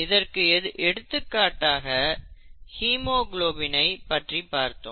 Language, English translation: Tamil, Let us take an example here in the case of haemoglobin